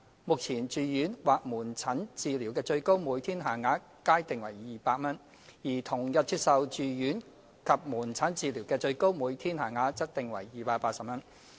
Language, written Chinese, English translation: Cantonese, 目前，住院或門診治療的最高每天限額皆定為200元，而同日接受住院及門診治療的最高每天限額則定為280元。, Currently the maximum daily rate for inpatient or outpatient treatment is both set at 200 whereas the maximum daily rate for inpatient and outpatient treatment received on the same day is set at 280